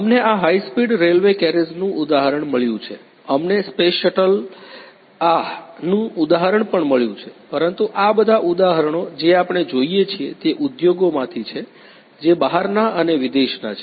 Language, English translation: Gujarati, We have got the example of these high speed railway carriages, we have got also the example of the space shuttle ah, but all these you know the examples what we see is that from the you know the industries which are Abroad which are outside